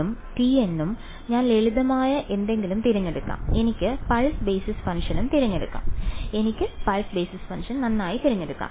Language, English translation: Malayalam, b n and t n I will choose something simple I can choose pulse basis function also, if I am very lazy I can choose pulse basis function